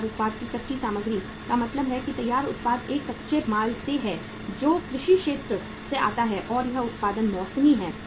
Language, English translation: Hindi, The raw material of the finished product means the finished product coming out is from a raw material which comes from the agriculture sector and that production is seasonal